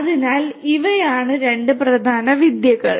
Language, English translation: Malayalam, So, these are the two main techniques